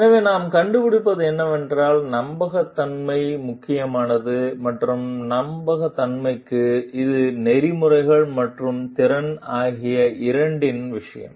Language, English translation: Tamil, So, what we found is that trustworthiness is important and for trustworthiness, it is a matter of both ethics and competence